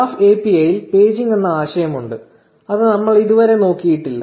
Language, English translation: Malayalam, Now, there is a concept of paging in the graph API, which we have not looked at